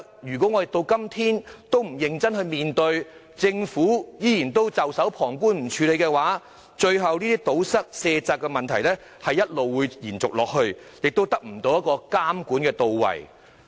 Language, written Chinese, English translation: Cantonese, 如果到今天政府仍然不認真面對問題，只袖手旁觀，不作處理，最後漏洞無法堵塞，卸責的問題只會一直延續，監管工作亦不到位。, If the Government still does not seriously face the problem today and just looks on with folded arms without doing anything eventually there will be no way to plug the loopholes . The problem of evasion of responsibilities will persist and the monitoring efforts will be unable to achieve any objective